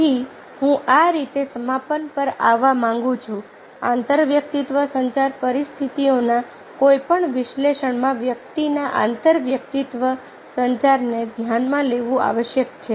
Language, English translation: Gujarati, so i would like to conclude thus: an individuals intrapersonal communication must be considered in any analysis of intrapersonal communication situations